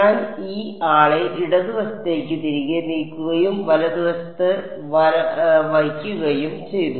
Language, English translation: Malayalam, I will move this guy back to the left hand side and keep this on the right hand side right